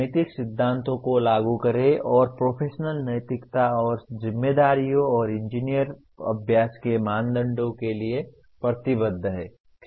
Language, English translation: Hindi, Apply ethical principles and commit to professional ethics and responsibilities and norms of the engineering practice